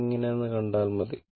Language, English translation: Malayalam, Just see that how it is